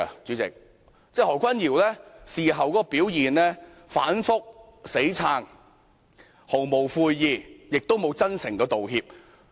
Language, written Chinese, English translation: Cantonese, 然而，他在事後表現反覆、硬撐、毫無悔意，亦無真誠道歉。, However his stand was kind of fickle after the incident and he kept making excuses showed no remorse and failed to extend a sincere apology